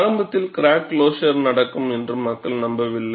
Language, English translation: Tamil, Initially, people did not believe that crack closure could happen